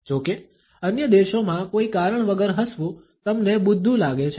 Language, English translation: Gujarati, In other countries though, smiling for no reason can make you seem kind of dumb